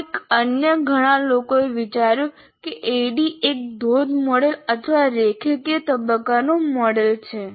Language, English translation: Gujarati, And somehow many other people have considered that this is a waterfall model or a linear phase model